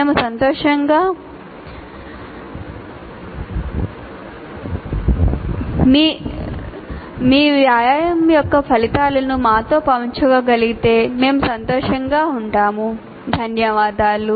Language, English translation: Telugu, We will thank you if you can share the results of your exercise with us